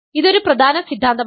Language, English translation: Malayalam, And this is an important theorem